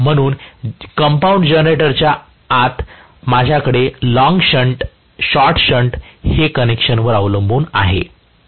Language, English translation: Marathi, So, inside compound generator I can have long shunt short shunt this is depending upon the connection